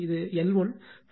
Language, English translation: Tamil, So, this is one